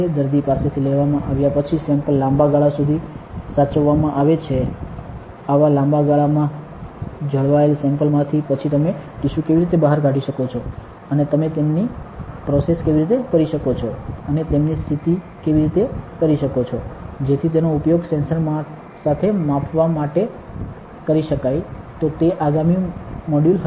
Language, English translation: Gujarati, After they have been taken from the patient hence preserved for a long term preservation from such samples from long term preserved samples, how can you take out tissues and how can you process them and condition them, so that they can be used for measurement with the sensor, so that will be next module